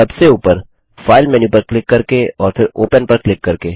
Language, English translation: Hindi, Let us close the window, by clicking the File menu on the top and then choosing Close